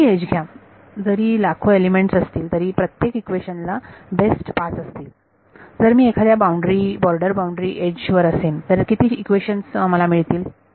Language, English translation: Marathi, Take any edge even if there are a million elements each equation will have at best 5, if I am on the border boundary edge how many equations will appear